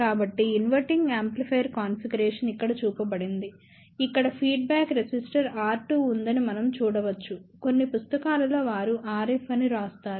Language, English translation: Telugu, So, an inverting amplifier configuration is shown over here, where we can see that there is a feedback resistor R 2, in some books they write R F